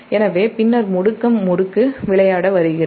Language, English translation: Tamil, so and an acceleration torque comes to play